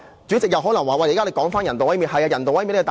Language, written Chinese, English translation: Cantonese, 主席可能指我又重提人道毀滅了。, Chairman you may say I am talking about euthanasia again